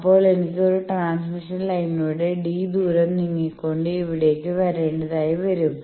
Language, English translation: Malayalam, Then I will have to move in a transmission line by a distance d and come here